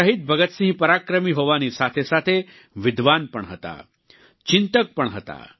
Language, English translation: Gujarati, Shaheed Bhagat Singh was as much a fighter as he was a scholar, a thinker